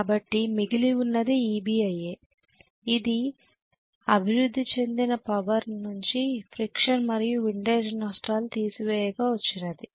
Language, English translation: Telugu, So what is left over is Eb multiplied by IA, that is the power developed minus whatever is the friction and windage losses if those are given